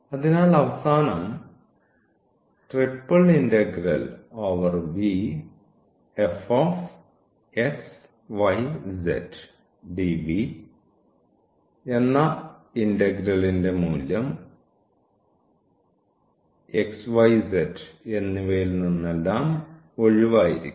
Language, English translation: Malayalam, So, at the end this will be free this integral value will not have anything of x y z